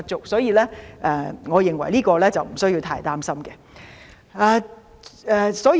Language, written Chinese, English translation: Cantonese, 所以，我認為這方面不需要太擔心。, Thus there is no cause for excessive worries